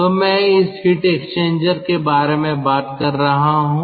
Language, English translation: Hindi, so i am talking about this heat exchanger